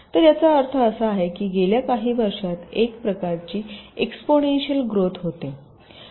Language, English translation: Marathi, so this means some kind of an exponential growth over the years